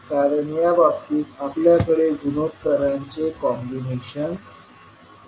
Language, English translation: Marathi, Because in this case we have a combination of ratios